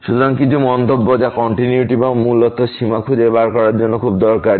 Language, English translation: Bengali, So, some remarks which are very useful for finding out the continuity or basically the limit